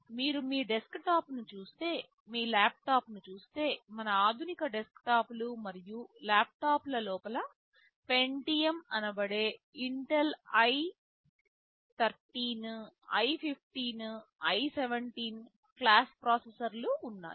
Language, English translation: Telugu, You look at our desktop, you look at our laptop, there is a Pentium we talk about Intel i3, i5, i7 class of processors inside our modern desktops and laptops